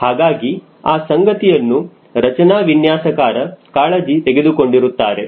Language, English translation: Kannada, so that part is taken care by the structural designer